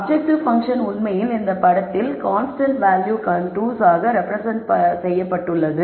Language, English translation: Tamil, So, the objective function is actually represented in this picture as this constant value contours